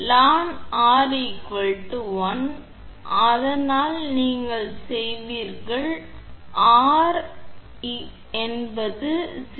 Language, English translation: Tamil, So, ln R upon r is 1, so from which you will get r is equal to 0